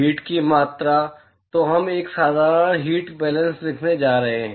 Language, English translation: Hindi, The amount of heat so, we are going to write a simple heat balance